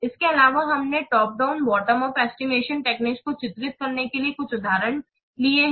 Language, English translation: Hindi, Also, we have taken some examples to illustrate the top down and the bottom of estimation techniques